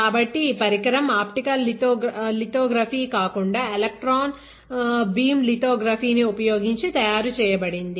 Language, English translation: Telugu, So, this device was made using electron beam lithography, not optical lithography